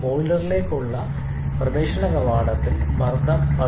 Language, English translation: Malayalam, And it enters the boiler with the pressure 15